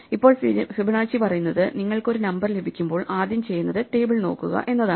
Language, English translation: Malayalam, Now what Fibonacci says is, the first thing you do when you get a number is try and look up the table